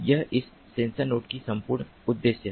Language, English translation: Hindi, this is the whole purpose of this sensor node